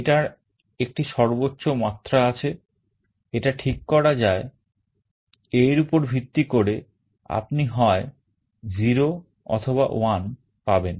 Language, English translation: Bengali, There is a threshold level, which can be set and depending on that you can get either a 0 or 1